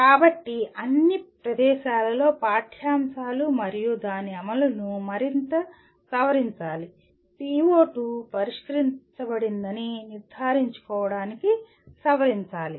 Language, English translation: Telugu, So at all places the curricula and its implementation should be revised further, revised to make sure that the PO2 is addressed